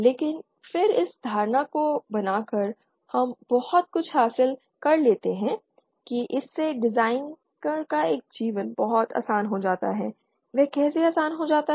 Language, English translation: Hindi, But then by making this assumption we get some very it makes our life of the designer much easier, how does it make it easier